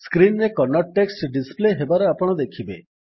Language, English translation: Odia, You will see the Kannada text being displayed on the screen